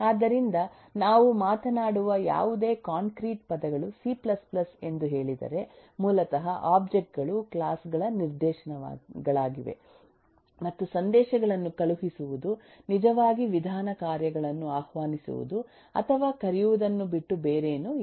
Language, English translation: Kannada, so if any concrete terms we talk about, say c plus plus, then eh, basically eh, objects are eh instances of classes and eh, the sending of messages is nothing but nothing other than actually invoking or calling method functions